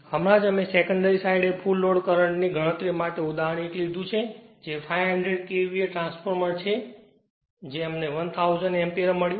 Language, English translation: Gujarati, Just now we took 1 example to compute the full load current on the secondary side that is 500 KVA transformer we got 1000 ampere just now we did we do 1 problem